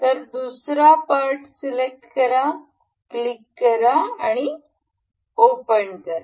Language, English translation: Marathi, We will select another part, we will click open